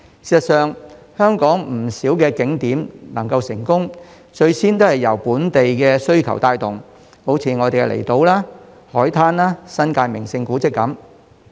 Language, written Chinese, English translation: Cantonese, 事實上，香港不少景點所以能夠成功，最先也是由本地需求帶動，例如離島、海灘、新界名勝古蹟等。, In fact the success of a number of Hong Kong tourist attractions say the outlying islands the beaches the scenic spots and historic monuments in the New Territories was initially driven by local demand